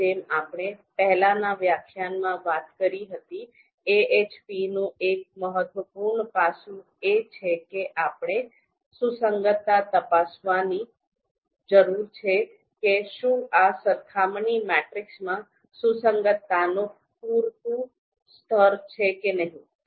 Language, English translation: Gujarati, Now as we talked about in the previous lecture, one important you know one important aspect of AHP is that we need to check the consistency, whether these you know comparison matrices whether they are having the adequate level of you know consistency or not